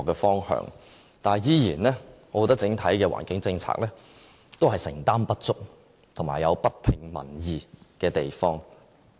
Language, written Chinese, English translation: Cantonese, 但是，我仍然覺得整體的環境政策承擔不足，而且有不聽民意的地方。, Yet I still find the Governments commitment to the overall environmental policies inadequate and it fails to fully heed public opinions as well